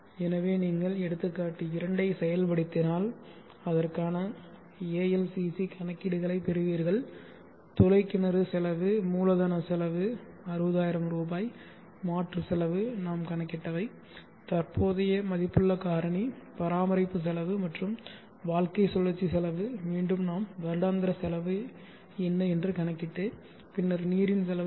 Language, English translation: Tamil, Which will give you in Rs per m3 then I have the display section where display the various parameters so if you execute a example tool you will get the ALCC calculations for that the bore well cost capital cost 60000 replacement cost whatever we have calculated has in worth factor maintenance cost and the life cycle cost again what we had calculated annual cost and then you see the unit cost of water is 10